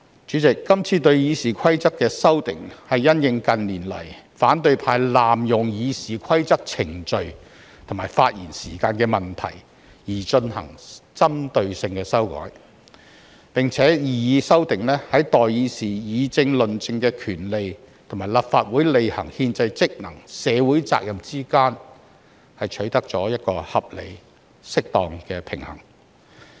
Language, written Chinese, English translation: Cantonese, 主席，今次對《議事規則》的修訂，是因應近年來反對派濫用《議事規則》程序及發言時限的問題而進行針對性的修改，擬議修訂亦在代議士議政論政的權利，以及立法會履行憲制職能及社會責任之間取得了一個合理和適當的平衡。, President this amendment exercise aims to propose targeted amendments to RoP and to address issues like speaking time as RoP has been abused in recent years by the opposition camp . The proposed amendments have also struck a reasonable and proper balance between parliamentarians right in the discussion of political issues and the fulfilment of constitutional duties and social responsibilities of the Legislative Council